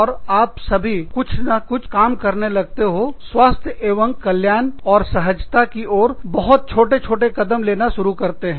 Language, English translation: Hindi, And then, all of you, sort of, start working, start taking, very tiny baby steps, towards being healthy, and being comfortable